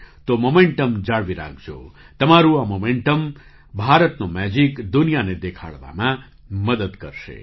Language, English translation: Gujarati, So keep up the momentum… this momentum of yours will help in showing the magic of India to the world